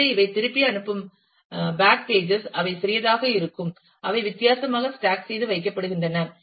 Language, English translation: Tamil, So, these send back pages, which are smaller in size are stack differently and so on